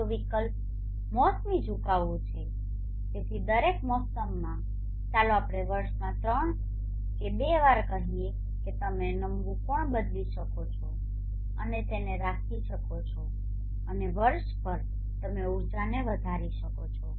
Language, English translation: Gujarati, The other option is to have a seasonal tilt so every season let us say three times or two times in a year you can change the tilt angle and keep it and maximize the energy that you connect over the year